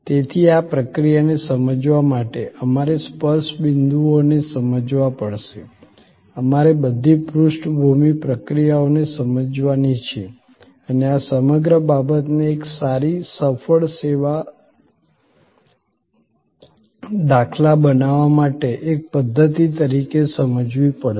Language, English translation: Gujarati, To understand this process therefore, we have to understand the touch points, we have to understand all the background processes and understand this entire thing as a system to create a good successful service instance